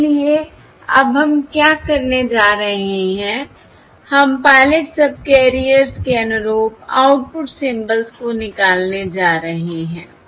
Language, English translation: Hindi, therefore, we have to extract the output symbols corresponding to these pilot subcarriers